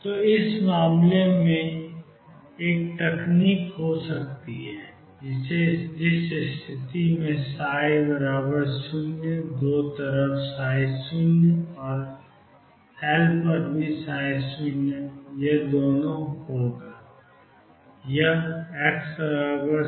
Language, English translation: Hindi, So, one technique could be in this case in which case the psi 0 on 2 sides psi 0 and psi L both are 0 this is x equals 0 x equals L